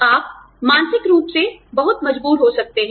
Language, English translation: Hindi, You may be, mentally very strong